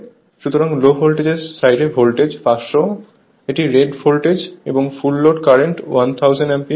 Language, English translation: Bengali, So, low voltage side voltage is 500; this is rated voltage and full load current is 1000 ampere